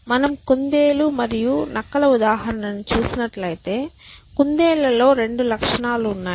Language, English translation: Telugu, So, if you going back to the rabbit and foxes example, let us say there are 2 desirable properties amongst rabbits